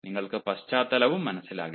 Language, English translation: Malayalam, then you perhaps do not understand background also